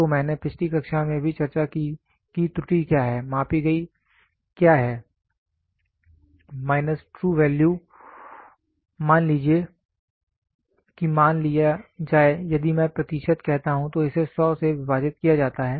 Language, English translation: Hindi, So, I discussed in the last class also error is what is measure minus what is the true value divided by suppose if I say percentage then it is divided by 100